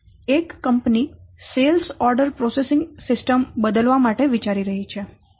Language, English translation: Gujarati, A company is considering when to replace its sales order processing system